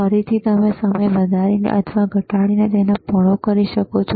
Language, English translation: Gujarati, Again, you can widen it by increasing the time